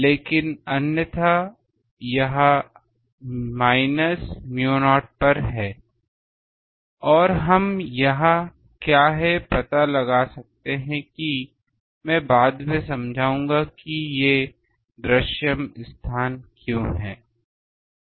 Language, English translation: Hindi, But otherwise it is at minus u not and we can find out what is the; I will explain later why these visible space